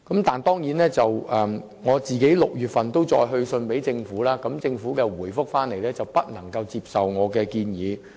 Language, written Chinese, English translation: Cantonese, 就此，我在6月份曾再次去信政府，政府卻回覆說不能接受我的建議。, In this connection I sent a letter to the Government again in June but the Government turned down my suggestion in its reply